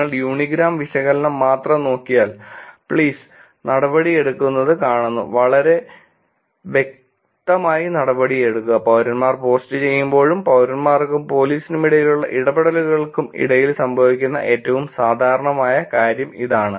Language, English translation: Malayalam, If you look at only the unigram analysis, we see that please take action, very evidently, please take the action seems to be the most frequent thing which will come when citizens post and the interactions between citizens and police